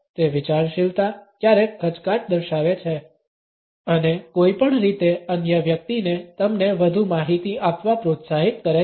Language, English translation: Gujarati, It conveys thoughtfulness, even hesitation and somehow encourages the other person to give you more information